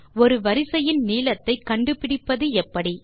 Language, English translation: Tamil, How do you find the length of a sequence